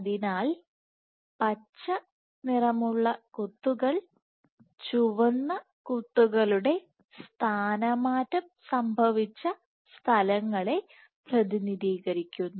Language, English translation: Malayalam, So, the green dots represent deformed positions of the red dots